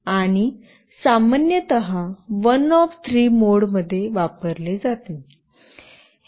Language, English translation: Marathi, And typically it is used in one of three modes